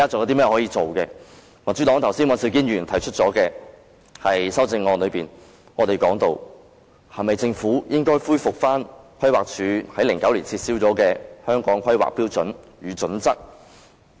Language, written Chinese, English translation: Cantonese, 剛才民主黨的尹兆堅議員提出的修正案提到，政府是否應恢復規劃署於2009年撤銷的《香港規劃標準與準則》？, As mentioned in the amendment proposed by Mr Andrew WAN of the Democratic Party should the Government not restore the Hong Kong Planning Standards and Guidelines revoked by the Planning Department in 2009?